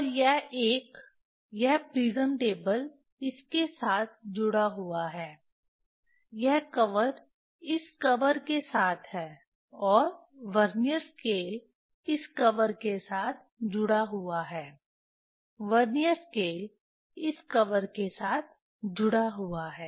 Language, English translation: Hindi, And this one, this prism table is attached with this, this cover this cover and Vernier scale is attached with this cover Vernier scale is attached with this cover